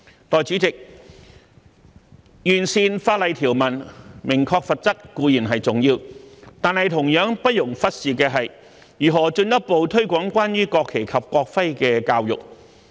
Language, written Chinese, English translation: Cantonese, 代理主席，完善法例條文，明確罰則，固然重要，但同樣不容忽視的，是如何進一步推廣關於國旗及國徽的教育。, Deputy President admittedly it is important to improve the legislative provisions and specify the penalties but it is equally crucial to further promote education on the national flag and national emblem